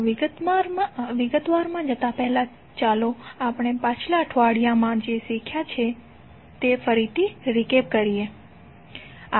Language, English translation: Gujarati, So before going into the details let us try to understand what we learn in the previous week